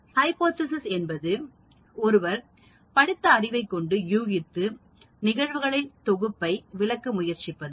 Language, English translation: Tamil, Hypothesis is an educated guess that attempts to explain a set of facts or phenomenon